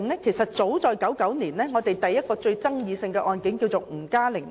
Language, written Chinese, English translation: Cantonese, 其實早在1999年，第一宗最具爭議的案件是吳嘉玲案。, In fact the first case that attracted most controversy was the NG Ka - ling case as far back as 1999